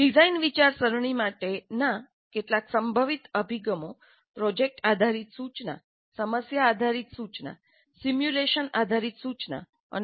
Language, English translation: Gujarati, Some of the possible approaches for design thinking would be project based instruction, problem based instruction, simulation based instruction, experiential approach to instruction